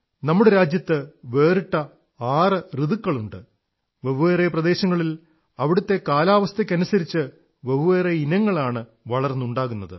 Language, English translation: Malayalam, There are six different seasons in our country, different regions produce diverse crops according to the respective climate